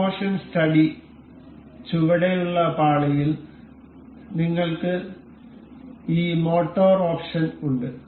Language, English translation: Malayalam, The in motion study, in the you know bottom pane, we have this motor option